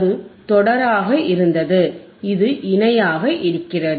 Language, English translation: Tamil, That was series, this is parallel right